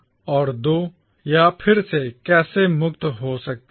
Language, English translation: Hindi, How can it become free again